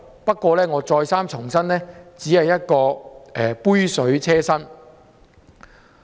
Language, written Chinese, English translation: Cantonese, 不過，我再三重申這只是杯水車薪。, But I must reiterate that the increase is just a drop in the bucket